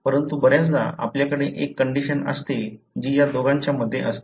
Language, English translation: Marathi, But, often you have a condition which is in between these two